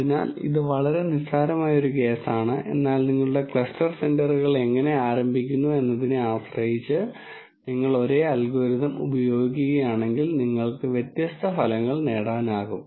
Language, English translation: Malayalam, So, this is a very trivial case, but it just still makes the point that if you use the same algorithm depending on how you start your cluster centres, you can get different results